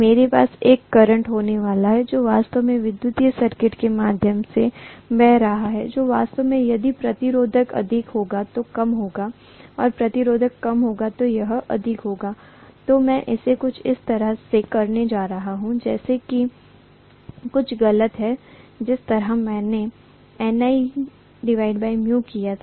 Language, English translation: Hindi, I am going to have a current which is flowing actually through the electric circuit which will be actually less if the resistance is more and it will be more if the resistance is less, I am going to have it that way something is wrong the way I have done